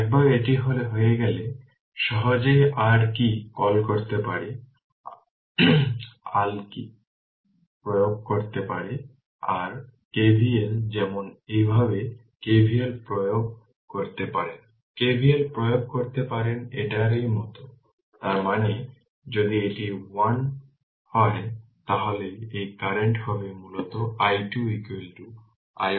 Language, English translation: Bengali, Once it is done so, easily you can your what you call easily you can your what you call apply your KVL right for example, you can apply KVL like this, you can apply KVL like this; that means, if it is i 1 then this current will be basically i 2 is equal to i 1 by 2